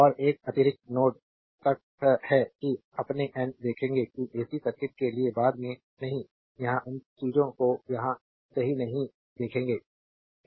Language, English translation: Hindi, And one additional node is neutral that we will see your n, that we will see later for the AC circuit not here we will not see those things here right